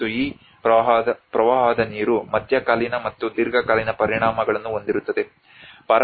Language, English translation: Kannada, And this flood water will have both the mid term and the long term impacts